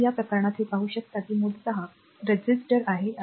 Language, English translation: Marathi, So, in this case you can see that power your basically it is a resistor say